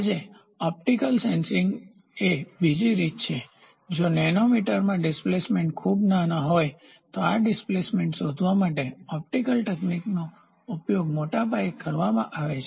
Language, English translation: Gujarati, Optical sensing is the other way doing, today, if the displacements are very small in nanometres optical techniques are used in a big way to find out this displacement